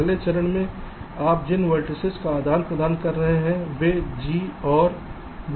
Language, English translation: Hindi, the vertices you are exchanging are g and b